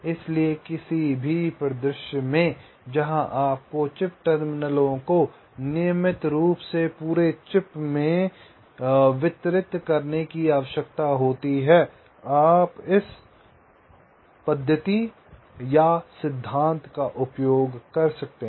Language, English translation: Hindi, so, in any scenario where you need the clock terminals to be distributed regularly across the chip, you can use this method or this principle